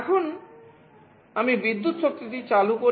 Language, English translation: Bengali, Now, I switch on the power